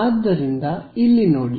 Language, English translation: Kannada, So, let us look at these